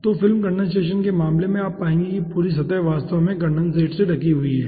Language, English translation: Hindi, okay, so in case of film condensation, you will find out that entire surface is actually covered by condensate